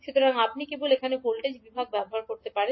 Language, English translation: Bengali, So you can simply use voltage division here